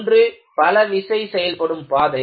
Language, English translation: Tamil, One is the multiple load path